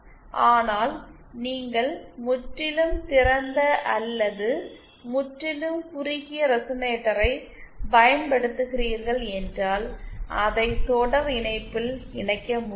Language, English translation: Tamil, But if you are using a purely open or a purely short resonator, that cannot be connected in series